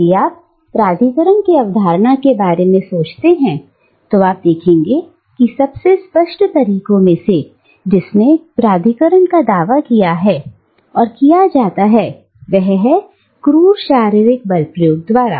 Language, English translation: Hindi, Now, if you think about the concept of authority, you will notice that one of the most obvious ways in which authority can be asserted, and is asserted, is through the exercise of brute physical force